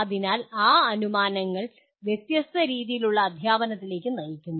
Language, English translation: Malayalam, So those assumptions lead to different models of teaching